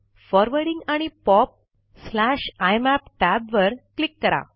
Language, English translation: Marathi, Click the Forwarding and POP/IMAP tab